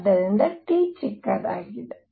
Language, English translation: Kannada, So, T is small